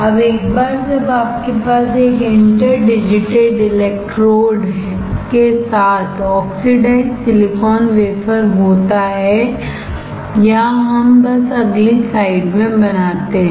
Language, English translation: Hindi, Now, once you have this oxidized silicon wafer with an inter general electrodes or let us just draw in a next slide